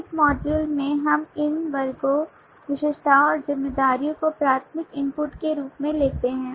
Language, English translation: Hindi, in this module, we take these classes attributes and responsibilities as primary input